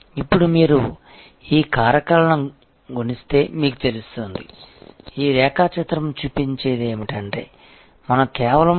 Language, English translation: Telugu, Now, you see if you multiply these factors; that is what this diagram shows, we land up with only 7